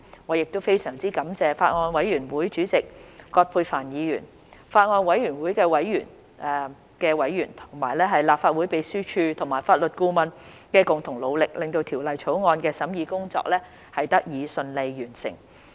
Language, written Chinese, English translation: Cantonese, 我亦非常感謝法案委員會主席葛珮帆議員、法案委員會的委員、立法會秘書處和法律顧問的共同努力，令《條例草案》的審議工作得以順利完成。, I would also like to thank the Chairman Ms Elizabeth QUAT as well as members of the Bills Committee the Legislative Council Secretariat and the Legal Adviser for their concerted efforts to facilitate the smooth completion of the scrutiny of the Bill